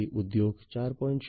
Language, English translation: Gujarati, So, in the context of Industry 4